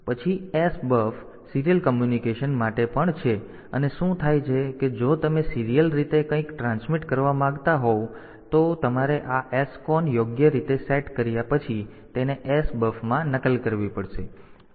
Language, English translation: Gujarati, Then S buff is also for serial communication and what happens is that if you want to transmit something serially you have to copy it into S buff after setting this SCON properly